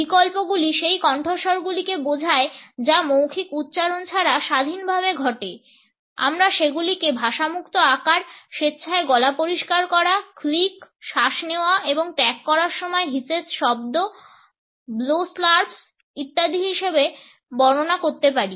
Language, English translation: Bengali, Alternates refer to those vocal sounds which occur independently of verbal utterances, we can describe them as language free size, voluntary throat clearings, clicks, inhalations and exhalations hisses, blows slurps etcetera